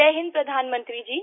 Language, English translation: Hindi, Jai Hind, Hon'ble Prime Minister